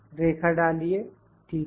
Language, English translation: Hindi, Insert line, ok